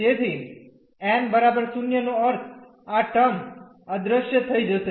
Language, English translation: Gujarati, So, n is equal to 0 means this term will disappear